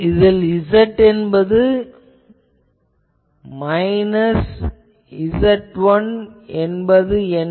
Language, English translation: Tamil, What is Z is equal to minus 1